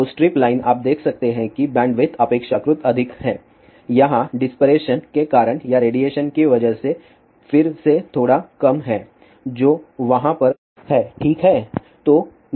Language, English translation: Hindi, So, strip line you can see that the bandwidth is relatively high, here it is slightly low again because of the dispersion or because of the radiation which is over there, ok